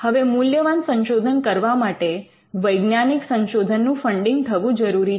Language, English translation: Gujarati, Now, for valuable research to happen, there has to be funding in scientific research